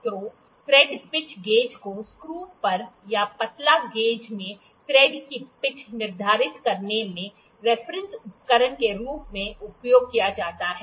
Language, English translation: Hindi, So, the thread pitch gauges are used as a reference tool in determining the pitch of a thread that is on the screw or in the tapered hole